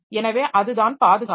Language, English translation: Tamil, So, that is the protection